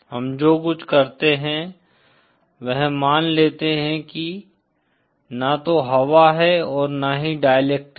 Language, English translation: Hindi, What we usual do is we assume as if there is neither air nor the dielectric material present